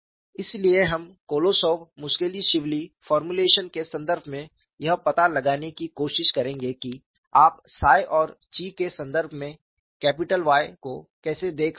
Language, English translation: Hindi, So, we would try to find out in terms of the Kolosov Muskhelishvili formulation, that how you can look at capital Y in terms of psi and chi